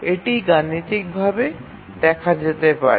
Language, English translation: Bengali, Now, let's do it mathematically